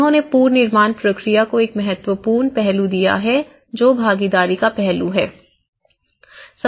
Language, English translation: Hindi, One is, in the rebuilding process they have given one of the important aspect is the participatory aspect